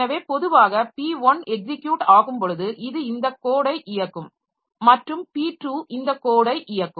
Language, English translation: Tamil, So, normally when P1 is running, so it will be executing this piece of code and P2 will be executing this piece of code